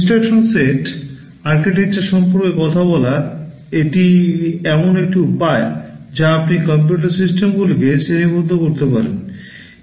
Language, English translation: Bengali, Talking about the instruction set architectures this is one way in which you can classify computer systems